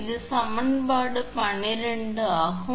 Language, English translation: Tamil, This is equation 12